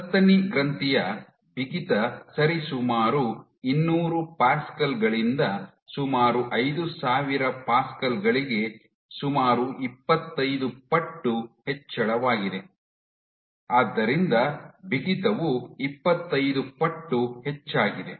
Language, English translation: Kannada, This explains the nearly 25 fold increase in stiffness of mammary gland from roughly 200 Pascals to nearly 5000 Pascals, you have a 25 fold increase in stiffness